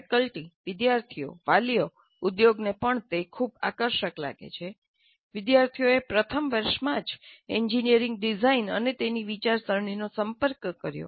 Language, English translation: Gujarati, The faculty, students, parents, even the industry find it very, very attractive to have the students exposed to engineering design and engineering design thinking right in the first year